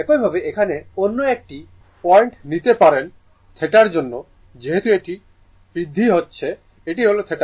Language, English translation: Bengali, Similarly, for somewhere here here you can take another point here for theta is increasing this is the theta, right